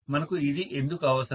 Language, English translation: Telugu, So why do we need this